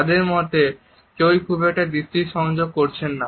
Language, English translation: Bengali, Neither one of them really makes eye contact